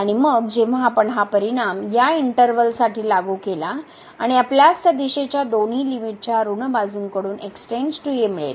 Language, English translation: Marathi, And, then when we apply that result to this interval and we will get that goes to a from the negative sides of both the limits from the right side